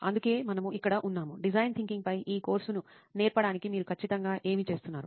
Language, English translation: Telugu, That is why we are here, to teach this course on design thinking, what exactly are you doing